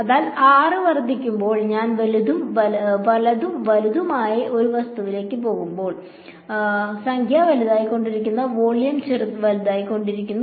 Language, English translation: Malayalam, So as r increases, as I go to a larger and larger object which number is becoming larger volume is growing larger